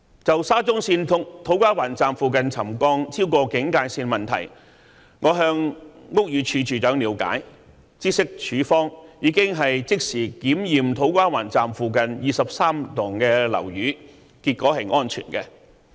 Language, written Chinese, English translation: Cantonese, 就沙中線土瓜灣站附近的沉降超過警戒線的問題，我曾向屋宇署署長了解，知悉署方已即時檢驗土瓜灣站附近23幢樓宇，結果顯示是安全的。, On the issue of the settlement near To Kwa Wan Station of SCL having exceeded the trigger level I approached the Director of Buildings for more information and learnt that his department had immediately inspected the 23 buildings in the vicinity of To Kwa Wan Station and the results indicate that they are safe